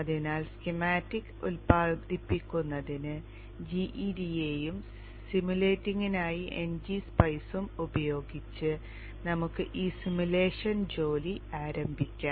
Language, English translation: Malayalam, So let us now begin the simulation work using GEDA for generating the schematics and NGPI for simulating